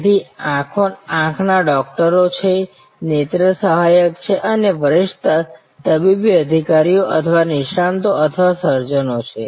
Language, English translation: Gujarati, So, there are eye doctors, there are ophthalmic assistance and there are senior medical officers or experts or surgeons